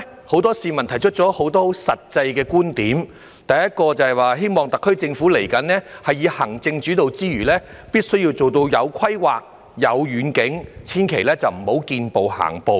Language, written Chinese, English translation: Cantonese, 很多市民發自內心提出了許多實際觀點，第一個是希望特區政府未來除以行政主導之外，也必須做到有規劃、有遠景，千萬不要"見步行步"。, The first view reflects their hope that apart from being executive - led the SAR Government will also have plans and visions and never have to feel its way as it goes